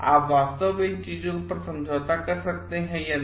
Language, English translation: Hindi, Can you really compromise on these things or not